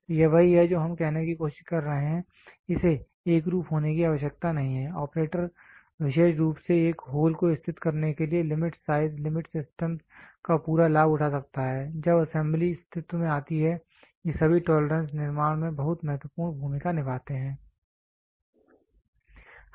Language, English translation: Hindi, So, this is what we are trying to say, it can be uniform it need not be uniform, the operator can take full advantage of the limit size limits system especially in positioning a hole when assembly comes into existence all these tolerances play a very important role in manufacturing